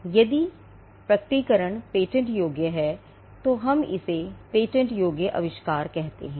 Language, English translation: Hindi, So, if the disclosure is patentable, that is what we call a patentable invention